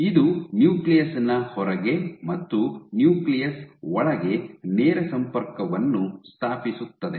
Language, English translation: Kannada, So, this establishes the direct connection between outside the nucleus and inside the nucleus